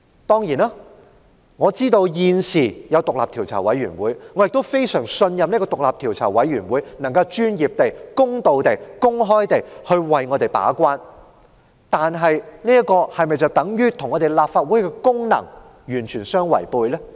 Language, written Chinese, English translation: Cantonese, 當然，我知道獨立調查委員會已成立，亦非常信任獨立調查委員會有能力專業、公道、公開地為我們把關，但這是否等於與立法會行使其功能完全違背呢？, I certainly know that the Commission has been established which I firmly trust is capable of acting as our gatekeeper professionally fairly and openly . However does that run contrary to the Legislative Council performing its functions?